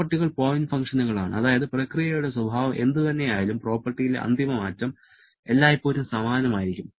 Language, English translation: Malayalam, Properties are point function that is whatever maybe the nature of the process, the final change in the property will always remain the same